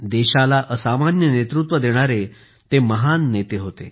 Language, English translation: Marathi, He was a great statesman who gave exceptional leadership to the country